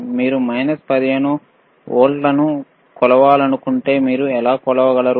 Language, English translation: Telugu, If you want to measure minus 15 volts, how you can measure this is plus 15 volts